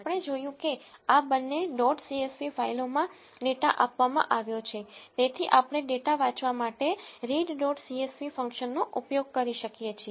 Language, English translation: Gujarati, As we have seen the data has been given in this two dot csv files, we can use read dot csv function to read the data